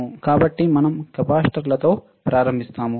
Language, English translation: Telugu, So, we start with the capacitors